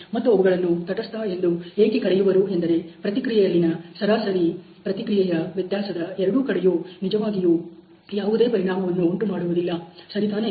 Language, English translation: Kannada, And why they are call neutral is that they do not really affect either the mean response of the variability in the response ok